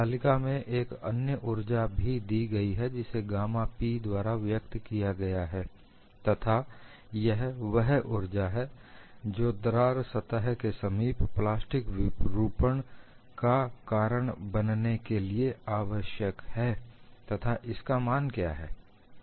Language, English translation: Hindi, And this table also gives another energy which is given as gamma P, which is the energy, required to cause plastic deformation near the cracked surface and what is it is value